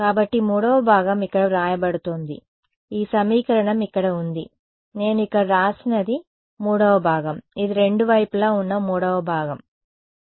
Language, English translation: Telugu, So, the 3rd component is being written over here this equation over here right that is what I have written over here this is the 3rd component which is on both side we have the 3rd component ok